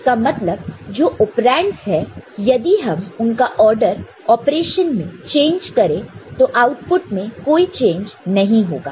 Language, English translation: Hindi, That means, the operands if they change their order in the operation there is no change in the output